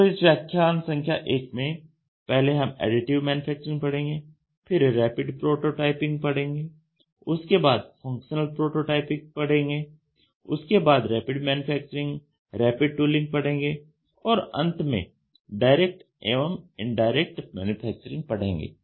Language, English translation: Hindi, So, in this lecture 1, we will try to see Additive Manufacturing we would see a rapid prototyping then we will see functional prototyping then we will see Rapid Manufacturing then rapid tooling and finally, direct and indirect manufacturing